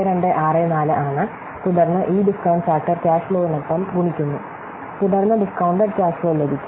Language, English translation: Malayalam, 8264 unlike that and then we multiply this discount factor with the cash flow then we get the discounted cash flow